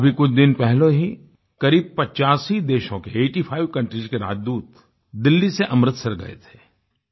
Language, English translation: Hindi, Just a few days ago, Ambassadors of approximately eightyfive countries went to Amritsar from Delhi